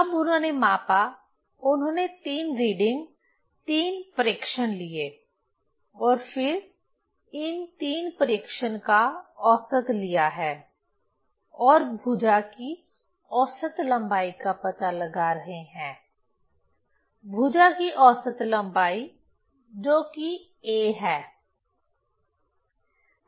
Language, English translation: Hindi, So, they have taken three readings, three observations and then taking the average of these three observation